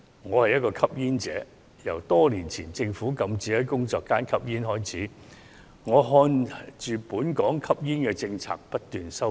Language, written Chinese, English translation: Cantonese, 我是一名吸煙者，由多年前政府禁止在工作間吸煙開始，一直眼看本港的吸煙政策不斷收緊。, I am a smoker . Since the smoking ban in workplaces imposed by the Government many years ago I have witnessed a gradual tightening of the smoking policy in Hong Kong